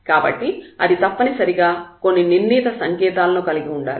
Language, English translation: Telugu, So, it has it must have some determined sign